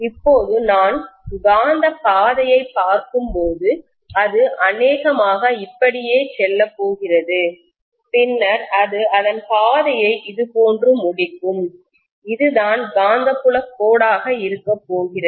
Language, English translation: Tamil, Now when I look at the magnetic path, it is probably going to go like this, go like this and then it will complete its path like this, this is the way the magnetic field line is going to be, right